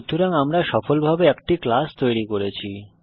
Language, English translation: Bengali, Thus we have successfully created a class